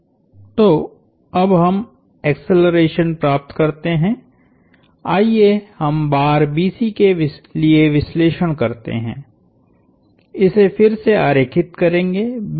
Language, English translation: Hindi, So, now, let us get the acceleration, let us do the analysis for rod BC, again will draw this